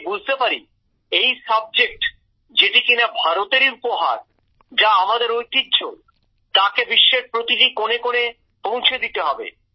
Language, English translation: Bengali, I understood that this subject, which is a gift of India, which is our heritage, can be taken to every corner of the world